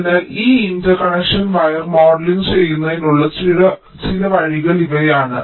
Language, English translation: Malayalam, so these are some ways of modeling this interconnection wire